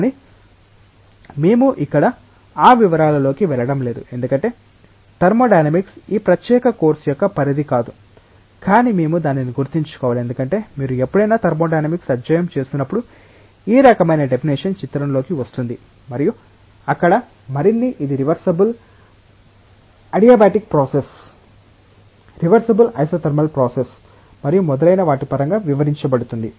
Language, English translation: Telugu, But we are not going into those details here because thermodynamics is not the scope of this particular course, but we should keep with that in mind because, whenever you will be studying thermodynamics again, this type of definition will come into the picture and there more detailing will be done in terms of whether it is a reversible adiabatic process, reversible isothermal process and so on